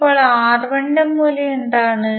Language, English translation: Malayalam, Now, what is the value of R1